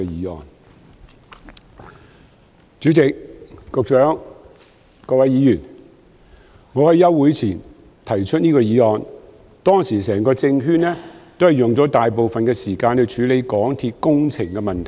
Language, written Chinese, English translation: Cantonese, 代理主席、局長、各位議員，我在暑期休會前提出這項議案，當時整個政圈花了大部分時間處理香港鐵路有限公司的工程問題。, Deputy President Secretary and Honourable Members I proposed this motion before the summer recess . At the time the entire political circle devoted most of the time to dealing with works problems involving the MTR Corporation Limited MTRCL